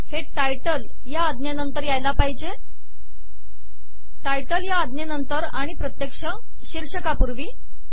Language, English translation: Marathi, This should come after the command title, between the title command and the actual title